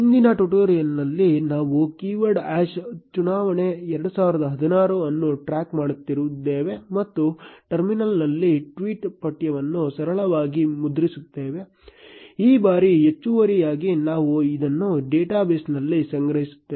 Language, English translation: Kannada, In the previous tutorial, we were tracking a keyword hash election 2016 and simply printing the tweet text in the terminal, this time additionally we will store this into the data base